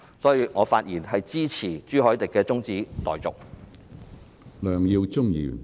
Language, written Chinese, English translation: Cantonese, 因此，我發言支持朱凱廸議員的中止待續議案。, Hence with these remarks I support the adjournment motion proposed by Mr CHU Hoi - dick